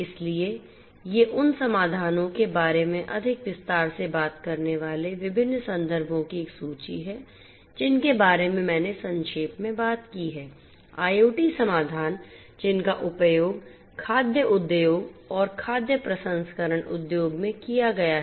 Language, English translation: Hindi, So, these are a list of different references talking in more detail about the solutions that I have talked about briefly, IoT solutions that have been used in the food industry, food processing industry and so on